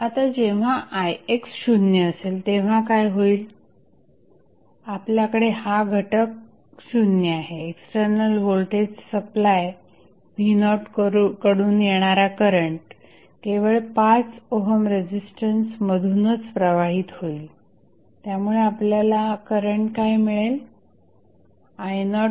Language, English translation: Marathi, Now, what happens when Ix is equal to 0, you have this component 0, the current which is flowing from external voltage supply V naught would be only through the 5 ohm resistance